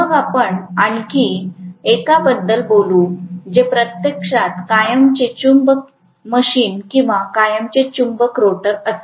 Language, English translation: Marathi, Then we also talked about one more which is actually a permanent magnet machine or permanent magnet rotor